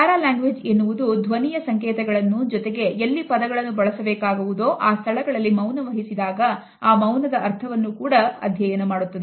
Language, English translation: Kannada, Paralanguage is studies the voice codes and at the same time it also studies the silences in those places, where the words should have been spoken